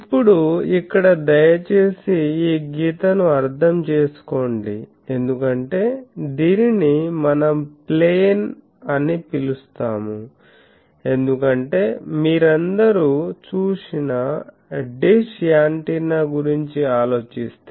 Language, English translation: Telugu, So, now here please understand this dashed line that we that is called a plane because, actually if you think of a dish antenna all of you have seen